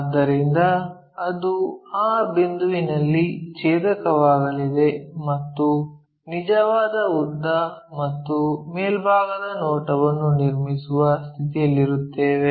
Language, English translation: Kannada, So, that is going to intersect at that point and we will be in a position to construct true length and the top view